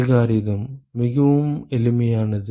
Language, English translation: Tamil, The algorithm is very simple